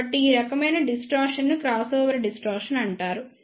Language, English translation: Telugu, So, this type of distortion is known as the crossover distortion